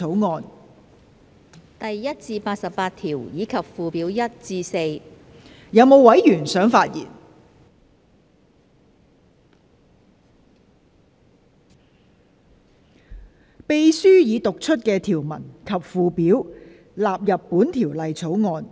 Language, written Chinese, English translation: Cantonese, 我現在向各位提出的待決議題是：秘書已讀出的條文及附表納入本條例草案。, I now put the question to you and that is That the clauses and schedules read out by the Clerk stand part of the Bill